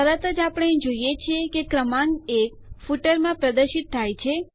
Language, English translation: Gujarati, Immediately, we see that the number 1 is displayed in the footer